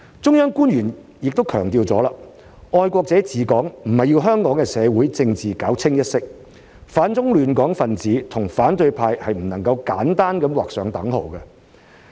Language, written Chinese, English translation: Cantonese, 中央官員已強調，"愛國者治港"不是要香港的社會政治搞"清一色"，反中亂港分子和反對派是不能簡單地劃上等號。, Officials of the Central Authorities have stressed that patriots administering Hong Kong does not mean to impose uniformity in politics in Hong Kong society for anti - China disruptors should not be glibly equated with the opposition